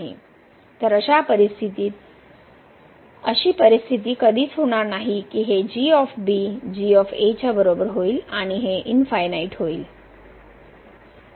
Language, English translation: Marathi, So, there will be never such a situation that this will become equal to and this will become infinity